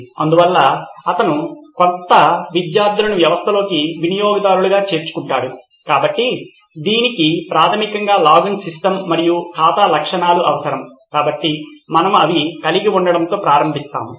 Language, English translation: Telugu, So he would also be adding new students as users into the system, so this would require a login system and account features basically, so we will start with having these three components in the application